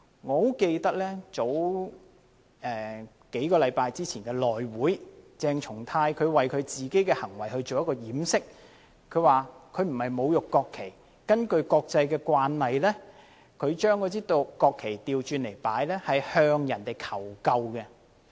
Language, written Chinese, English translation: Cantonese, 我很記得，在數星期前的內務委員會會議上，鄭松泰議員為自己的行為作掩飾，說他不是侮辱國旗，因為根據國際慣例，把國旗倒轉擺放是向他人求救的意思。, I recall that at a House Committee meeting a few weeks ago Dr CHENG Chung - tai covered up his behaviour by pointing out that he did not insult the national flag as according to the international practice inverting a national flag means calling for someones help . Deputy President it is absolutely preposterous